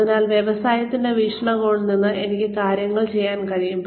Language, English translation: Malayalam, So, I can see things from the perspective of the industry